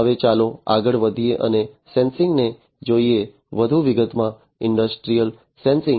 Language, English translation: Gujarati, Now let us go ahead and look at sensing, in further detail, industrial sensing